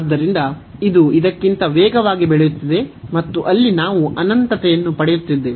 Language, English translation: Kannada, So, this is taking its growing much faster than this one and that is the reason we are getting infinity there